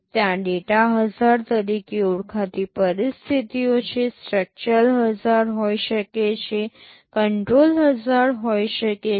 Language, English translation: Gujarati, There are situations called data hazards, there can be structural hazards, there can be control hazards